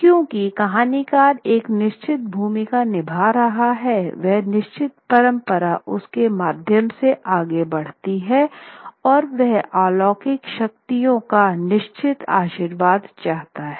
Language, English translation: Hindi, Because what the idea that the storyteller is performing a certain role, is carrying a certain tradition through him or her and seeks a certain blessing of external supernatural forces